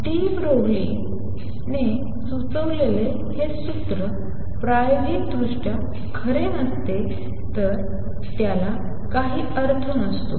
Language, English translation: Marathi, If this formula that de Broglie proposed was not true experimentally, it would have no meaning